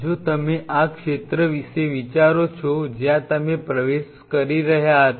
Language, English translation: Gujarati, If you think of this zone where you were entering